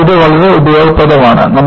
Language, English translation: Malayalam, So, this is very useful